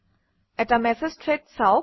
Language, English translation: Assamese, What are Message Threads